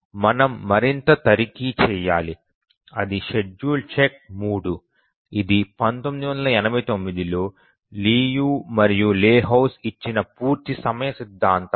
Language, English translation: Telugu, And we need to check further that is the schedulability check 3 and the name of the result is completion time theorem given by Liu and Lahutski in 1987